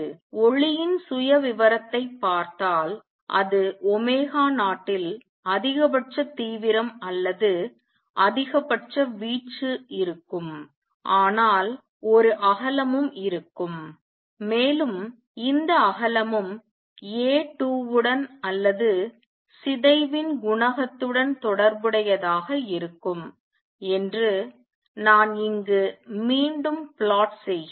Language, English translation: Tamil, And this is also related to which I re plot here that if you look at the profile of light coming out it will have maximum intensity or maximum amplitude at omega 0, but would also have a width and this width is going to be related to A 21 or the coefficient of decay